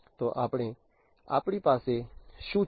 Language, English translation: Gujarati, So, we have what